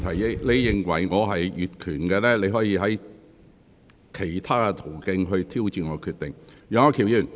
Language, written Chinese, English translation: Cantonese, 若你認為我越權，你可循其他途徑挑戰我的決定。, If you think that I have acted ultra vires you may challenge my decision through other channels